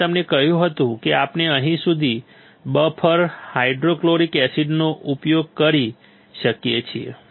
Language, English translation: Gujarati, I had told you we can use buffer hydrofluoric acid until here is easy